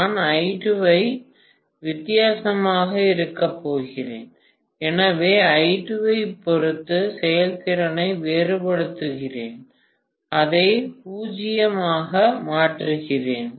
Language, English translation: Tamil, I am going to have I2 to be different, so let me differentiate the efficiency with respect to I2 and I make it as 0